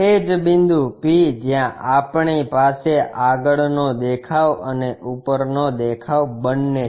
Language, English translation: Gujarati, The same point p, where we have both the front view and top view